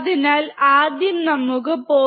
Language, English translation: Malayalam, So, let us first write 0